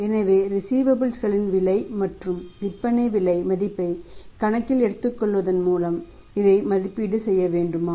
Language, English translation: Tamil, So, do you have to evaluate this by taking into account the the cost as well as the selling price value of the receivables